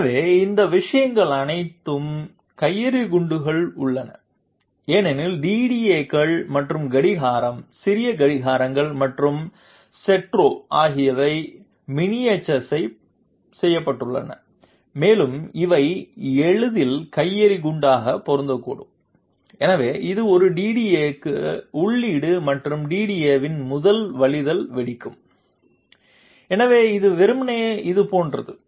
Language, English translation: Tamil, So all these things are inside the grenade because DDAs and clock small clocks, et cetera they are miniaturized and they can easily fit into grenade, so which is input to a DDA and the first overflow of the DDA will cause detonation, so it is simply like this